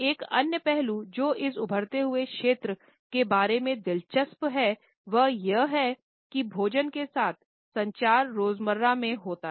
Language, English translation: Hindi, Another aspect which is interesting about this emerging area is that the communication related with food has an everydayness